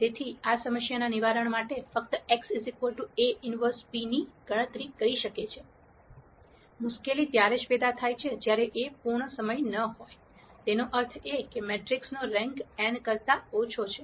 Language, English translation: Gujarati, So, one could simply compute x equal A inverse p as a solution to this problem, the di culty arises only when A is not fulltime; that means, the rank of the matrix is less than n